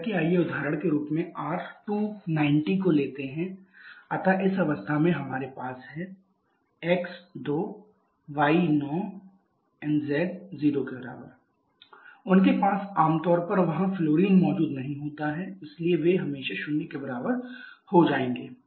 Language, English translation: Hindi, Like let us take the example of say R 290, so in this case we have x = 2, y = 9, z = 0, they generally do not have fluorine present there so they always will become equal to 0, so from there number of carbons will be equal to x + 1 that is equal to 2 + 1 that is 3